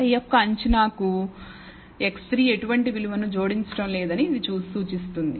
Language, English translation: Telugu, It indicates that x 3 is not adding any value to the prediction of y